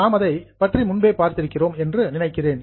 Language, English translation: Tamil, I think we have seen it earlier